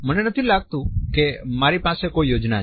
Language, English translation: Gujarati, I do not think so, and I have plans